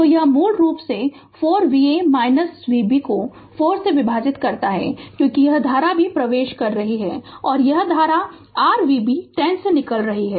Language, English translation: Hindi, So, it is basically 4 plus V a minus V b divided by 4, because this current is also entering and this current is leaving is equal to your V b by 10